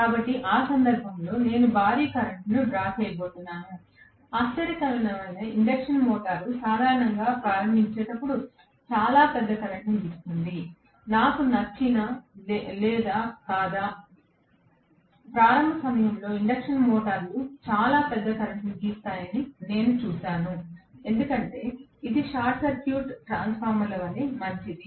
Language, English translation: Telugu, So, in that case I am going to have a huge current drawn no wonder induction motor normally draws a very large current during starting, whether I like it or not, I would see that induction motors draw a very very large current during starting because it is as good as the short circuited transformer